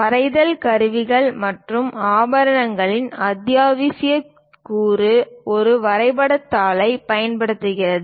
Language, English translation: Tamil, In the drawing instruments and accessories, the essential component is using drawing sheet